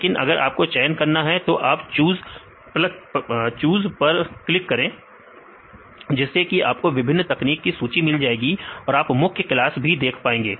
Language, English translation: Hindi, But if you want to choose; you have to click on choose then if you click on this choose it will list all the techniques and you can expand see any of this major classes